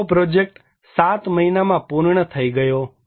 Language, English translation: Gujarati, The whole project was completed within 7 months